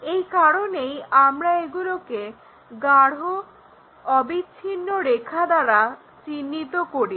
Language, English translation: Bengali, That is also one of the reason we show it by dark continuous lines